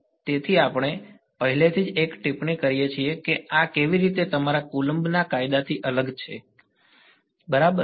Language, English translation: Gujarati, So, we have already made one comment about how this is different from your Coulomb's law right ok